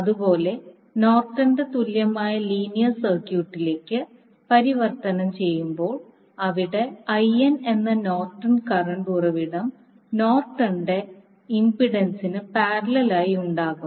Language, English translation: Malayalam, Similarly, in case of Norton’s equivalent linear circuit will be converted into the Norton’s equivalent where current source that is Norton’s current source that is IN will have the Norton’s impedance in parallel